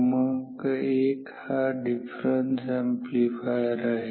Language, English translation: Marathi, Number 1 this is a difference amplifier